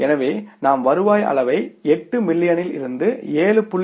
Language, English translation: Tamil, So, the moment you change the revenue level from the 8 million to 7